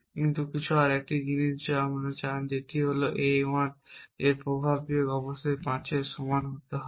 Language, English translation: Bengali, But is another thing you want which is that effects minus of A 1 must be equal to 5